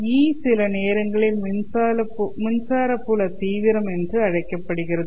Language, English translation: Tamil, This electric field E is sometimes called as electric field intensity